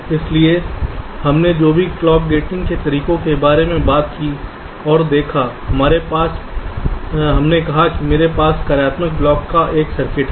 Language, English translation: Hindi, so far, whatever clock gating methods we talked about and looked at, we said that, well, i have a circuit of functional block